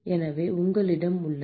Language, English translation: Tamil, So, you have